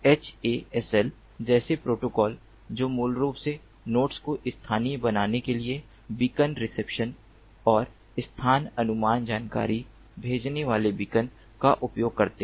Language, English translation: Hindi, protocols such as hasl, which use beacon sending, beacon reception and location estimation information to basically localize the nodes